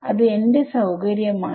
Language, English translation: Malayalam, It is my choice